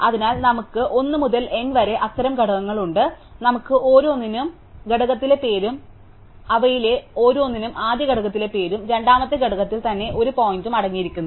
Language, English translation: Malayalam, So, we have n such components 1 to n, so we have n such nodes each of which contains the name in the first component and a pointer to itself in the second component saying it is a singleton component